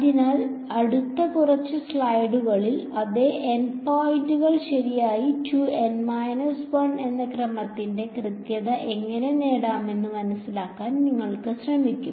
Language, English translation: Malayalam, So, the next few slides, we will try to understand how we can get an accuracy of order 2 N minus 1 keeping the same N points ok